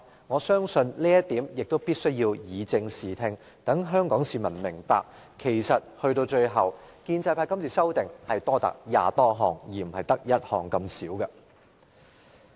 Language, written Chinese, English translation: Cantonese, 我相信，對於這一點，必須以正視聽，讓香港市民明白建制派今次的修訂建議多達20多項，而不止1項。, I must clarify this point so that members of the public will know that the pro - establishment camp has made more than 20 proposals instead of one proposal to amend RoP in this exercise